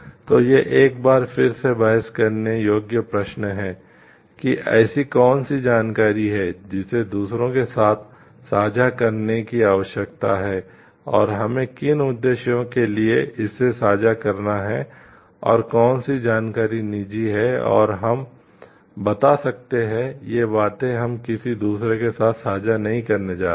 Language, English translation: Hindi, So, these are again questions of debate like what are those information s which needs to be shared with others and for what purposes we are going to share it and what are those information which are private and we are like we can tell like they are not going to share these things with others